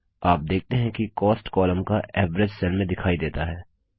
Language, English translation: Hindi, You see that the average of the Cost column gets displayed in the cell